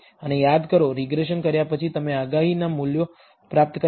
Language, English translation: Gujarati, And the predicted values you obtain after the regression remember